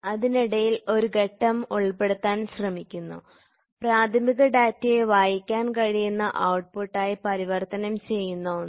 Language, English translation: Malayalam, So, then in between you try to have a stage where in which you convert the primary into a readable output